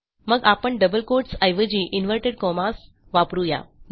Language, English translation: Marathi, So instead of these, well need inverted commas